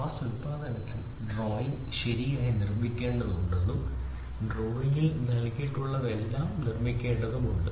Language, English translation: Malayalam, So, in mass production it is very clear the drawing has to be made proper and the drawing whatever is given in the drawing that has to be produced